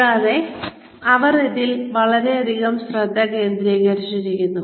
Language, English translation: Malayalam, And, they are focusing on this, a lot